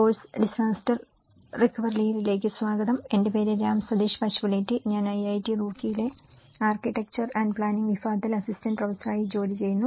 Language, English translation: Malayalam, Welcome to the course disaster recovery and build back better, my name is Ram Sateesh Pasupuleti, I am working as Assistant Professor in Department of Architecture and Planning, IIT Roorkee